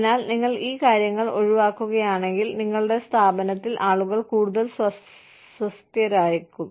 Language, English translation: Malayalam, So, if you avoid these things, then people will be more comfortable, in our organization